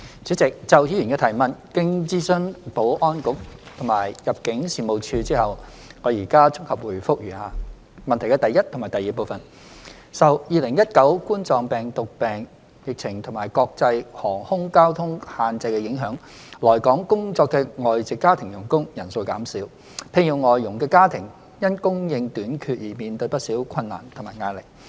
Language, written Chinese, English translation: Cantonese, 主席，就議員的質詢，經諮詢保安局及入境事務處後，我現綜合答覆如下：一及二受2019冠狀病毒病疫情及國際航空交通限制的影響，來港工作的外籍家庭傭工人數減少，聘用外傭的家庭因供應短缺而面對不少困難和壓力。, President having consulted the Security Bureau and the Immigration Department ImmD my consolidated response to the Members question is set out below 1 and 2 Due to the COVID - 19 pandemic and international air travel restrictions the number of foreign domestic helpers FDHs coming to work in Hong Kong has decreased . Families employing FDHs are in face of difficulties and pressure because of the shortage of supply